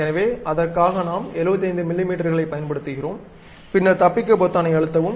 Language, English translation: Tamil, So, for that we are using 75 millimeters OK, then press escape